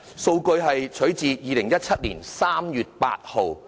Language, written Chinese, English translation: Cantonese, 圖表的數據取於2017年3月8日。, The Data of the chart were taken on 8 March 2017